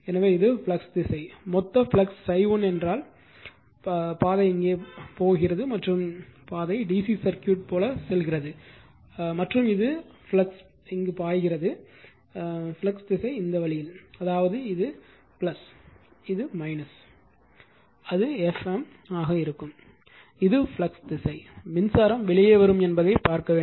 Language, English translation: Tamil, So, this is the direction of the flux right, say total flux if it is phi 1 right phi path is going here and path is going like your DC circuit and this is your flux is flowing right the current flows and the direction of the flux is this way; that means, this will be plus and this will be minus and that will be your F m this will do that is a you see the direction of the flux and from flux where your current actually coming out